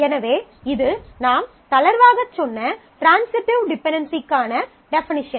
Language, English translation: Tamil, So, this is a definition of transitive dependency which I have just loosely told you